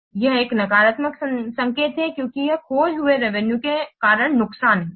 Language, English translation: Hindi, So here it is negative sign because this is loss due to the lost revenue